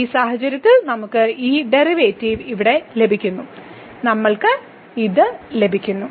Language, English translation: Malayalam, So, in this case we are getting delta this derivative here, we are getting this delta